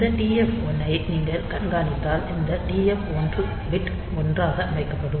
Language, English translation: Tamil, So, if you monitor this TF 1 this TF 1 bit will be set to 1